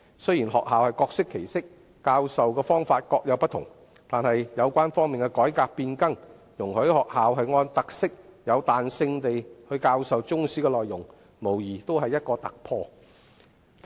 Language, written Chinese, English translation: Cantonese, 雖然學校各適其適，各有不同的教授方法，但有關方面的改革變更，容許學校按特色彈性教授中史的內容，這無疑是突破。, Though schools adopt different teaching modes that suit their needs such a change is no doubt a breakthrough as it allows schools to teach Chinese history according to their characteristics in a flexible manner